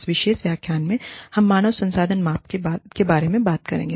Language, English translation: Hindi, In this particular lecture, we will be dealing with, human resources measurement